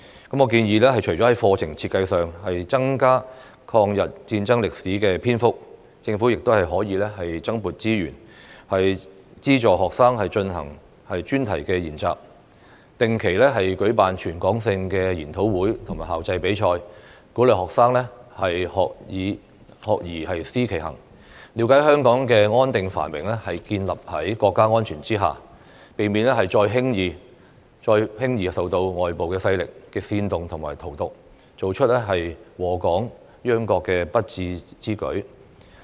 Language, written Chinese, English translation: Cantonese, 我建議，除了在課程設計上增加抗日戰爭歷史的篇幅，政府亦可增撥資源，資助學生進行專題研習，定期舉辦全港性的研討會和校際比賽，鼓勵學生"學而思其行"，了解香港的安定繁榮是建立在國家安全之下，避免再輕易受到外部勢力的煽動和荼毒，做出禍港殃國的不智之舉。, I suggest that apart from adding the history of the war of resistance against Japanese aggression to the curriculum the Government should also allocate more resources to subsidize topical studies undertaken by students and organize regular territory - wide seminars and inter - school competitions to encourage students to learn and think about what they are doing and understand that the stability and prosperity of Hong Kong is built on national security . This can prevent them from being easily incited and poisoned by external forces to make unwise moves that will bring disaster to Hong Kong and our country